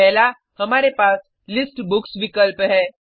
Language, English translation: Hindi, First, we have the option List Books